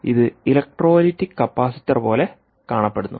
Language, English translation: Malayalam, it looks like an electrolytic capacitor